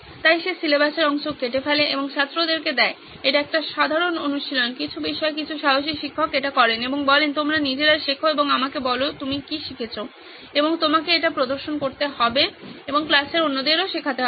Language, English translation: Bengali, So she cuts up the portion of the syllabus and gives it to the students this is a common practice in some subjects some brave teachers do this and says you guys prepare and tell me what you have learnt and you will have to present and teach the other people in the class